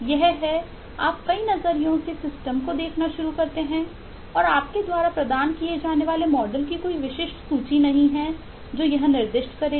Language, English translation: Hindi, that is, you start looking at the system from multiple angles, through multiple glasses and there is no very specific exhaustive list of models that you will provide that will specify eh